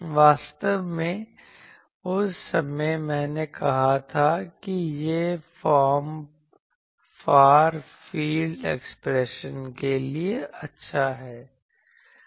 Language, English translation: Hindi, Actually that time I said that this form is good for far field approximation